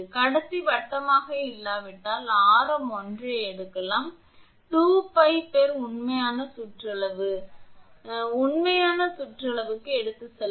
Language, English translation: Tamil, If the conductor is not circular, the radius r may be taken as 1 upon 2 pi into actual periphery, just you will take arc actually, into actual periphery